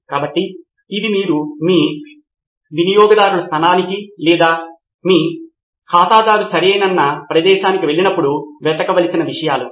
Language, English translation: Telugu, So these are things that you need to be looking for when you go to your customer place or users place where your user is okay